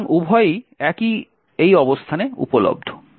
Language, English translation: Bengali, So, both are available at these locations